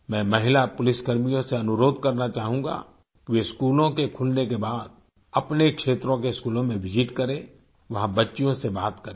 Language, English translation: Hindi, I would like to request the women police personnel to visit the schools in their areas once the schools open and talk to the girls there